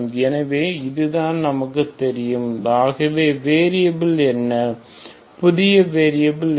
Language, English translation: Tamil, So that is what we know ok so what are the variables, what are the new variables